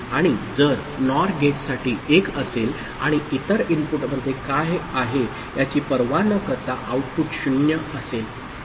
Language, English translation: Marathi, And for NOR gate if 1 is there output will be 0 irrespective of what is there in the other input